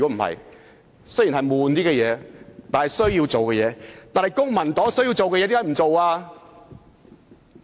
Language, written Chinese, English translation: Cantonese, 為甚麼公民黨有需要做的工夫卻沒有做？, Why has the Civic Party not done what should be done?